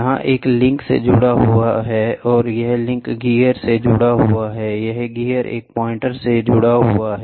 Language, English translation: Hindi, This, in turn, is attached to a link, this link is attached to a gear, this gear, in turn, is attached to a pointer